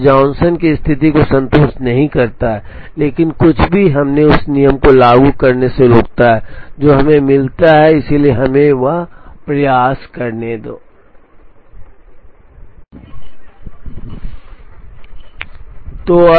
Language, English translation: Hindi, Now, it does not satisfy the Johnson condition, but nothing prevents us from applying that rule to see what we get, so let us try that